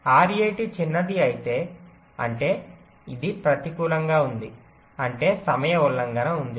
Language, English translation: Telugu, but if rat is smaller, that means this is negative, which means there is the timing violation